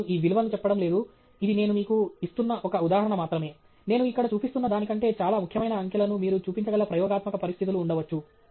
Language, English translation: Telugu, I am not saying this value, this is just an example that I am giving you, there may be experimental conditions where you can show vastly more significant digits than what I am showing here